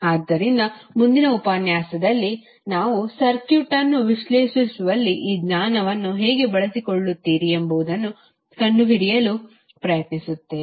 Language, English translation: Kannada, So, in next lecture we will try to find out, how you will utilize this knowledge in analyzing the circuit